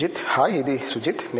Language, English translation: Telugu, Hi, this is Sujith